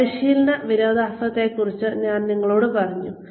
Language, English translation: Malayalam, I told you about the training paradox